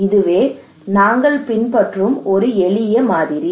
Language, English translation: Tamil, So that is a simple model that we follow